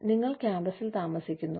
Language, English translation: Malayalam, So, we stay on campus